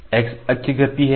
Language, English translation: Hindi, So, this is left x motion x axis motion